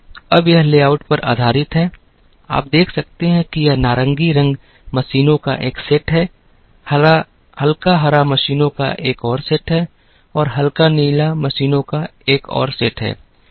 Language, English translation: Hindi, Now, this layout is based on, you can see this orange color is a set of machines, the light green is another set of machines, light blue is another set of machines